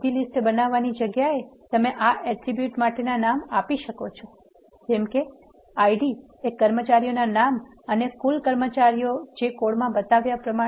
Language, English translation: Gujarati, Instead of directly creating a list you can also give the names for this attributes as ID, names of employees and the total staff as shown in the code here